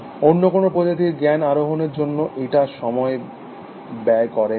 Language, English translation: Bengali, No other species spend so much time, acquiring knowledge essentially